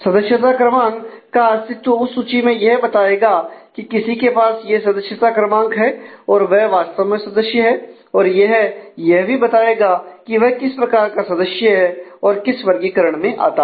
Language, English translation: Hindi, So, existence of a member number in that list will mean that someone holding that member number is actually a member and it is should also tell me what type of member or what category of member he or she is